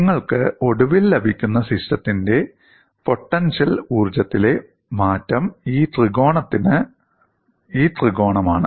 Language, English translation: Malayalam, And eventually what you get as the change in potential energy of the system is given by this triangle